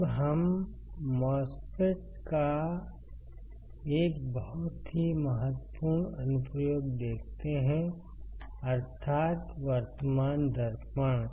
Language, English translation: Hindi, So, let us see a very important application of the MOSFET